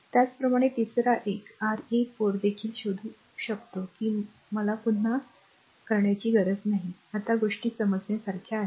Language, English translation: Marathi, Similarly third one R 3 4 also you can find out I need not do repeated again now things are understandable to you right